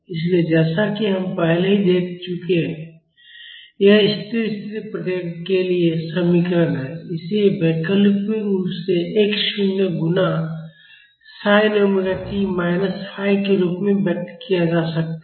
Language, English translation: Hindi, So, as we have seen already, this is the expression for the steady state response and this can be alternatively expressed as x naught multiplied by sin omega t minus phi